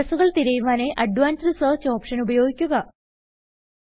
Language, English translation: Malayalam, Use the Advanced Search option to search for addresses